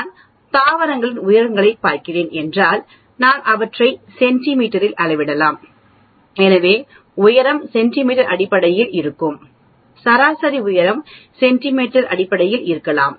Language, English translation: Tamil, If I am looking at height of plants I may measure them in centimeters, so height will be in terms of centimeters the average height could be in terms of centimeters